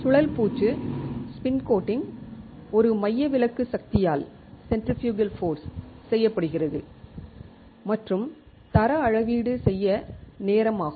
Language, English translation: Tamil, Spin coating is done by a centrifugal force and the quality measure is time